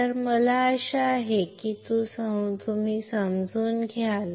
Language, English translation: Marathi, So, I hope that you understand